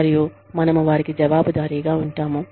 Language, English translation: Telugu, And, we hold them, accountable